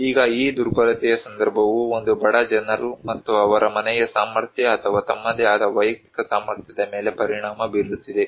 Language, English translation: Kannada, Now, this vulnerability context actually, this is the poor people and is affecting their household capacity or their own individual capacity